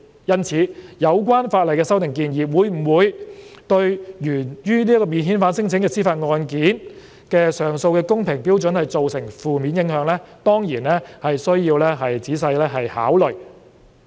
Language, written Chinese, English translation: Cantonese, 因此，有關法例的修訂建議會否對源於免遣返聲請的司法覆核案件的上訴的公平標準造成負面影響，當然需要仔細考慮。, Therefore whether the proposed legislative amendments would have a negative impact on the standard of fairness to the appeals in JR cases arising from the non - refoulement claim cases should be carefully considered